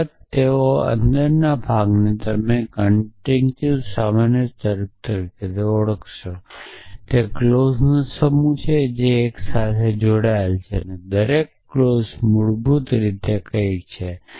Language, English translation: Gujarati, So, of course, they inside part you will recognize as a conjunctive normal form a set of clauses which are joined by an and each clause is basically some something